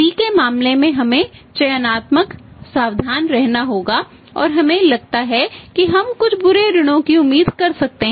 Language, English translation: Hindi, In case of the C we have to be selective careful and we feel that we can expect some bad debts